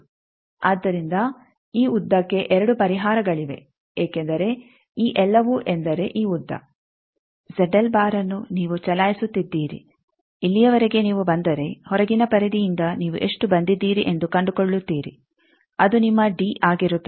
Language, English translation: Kannada, So, there will be 2 solutions for this length because all these means this length Z l you are moving up to here if you come then from outer periphery you find out how much you have come that will be your d